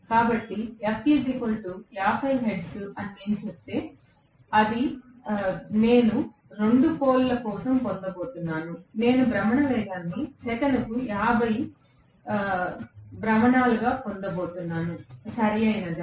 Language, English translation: Telugu, So, if say that F is equal to 50 hertz, then I am going to get for 2 poles, I am going to get the rotational speed also as 50 revolutions per second, right